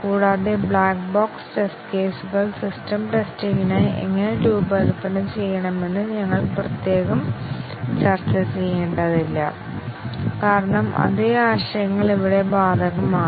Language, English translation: Malayalam, And, we do not have to really discuss separately how the black box test cases are to be designed for system testing because the same concepts are applicable here